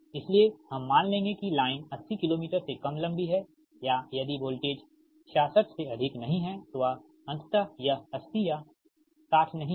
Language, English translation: Hindi, ah, so we will assume that line is less than eighty kilometer long, or if the voltage is not our, sixty six, ah, ultimately it is not eighty or sixty